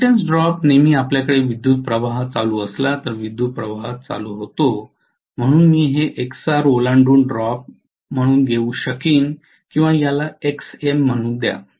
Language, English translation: Marathi, Reactance drop always you are going to have the voltage leading the current, so I can take this as the drop across Xar or let me called this as Xm